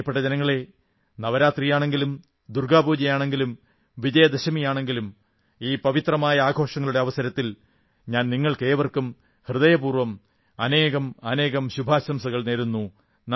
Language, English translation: Malayalam, My dear countrymen, be it Navratri, Durgapuja or Vijayadashmi, I offer all my heartfelt greetings to all of you on account of these holy festivals